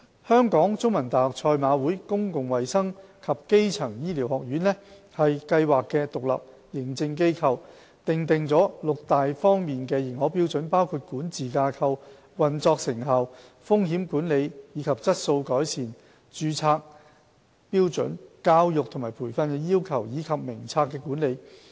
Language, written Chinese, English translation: Cantonese, 香港中文大學賽馬會公共衞生及基層醫療學院為計劃的獨立認證機構，訂定六大方面的認可標準，包括管治架構、運作成效、風險管理和質素改善、註冊標準、教育和培訓要求，以及名冊的管理。, As the independent Accreditation Agent of the Scheme the Jockey Club School of Public Health and Primary Care of The Chinese University of Hong Kong sets out six major accreditation standards including governance operational effectiveness risk management and quality improvement standards for registrants educational and training requirements and management of the register of the professional body